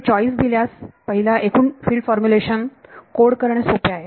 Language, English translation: Marathi, So, given a choice it is easier to code total field formulation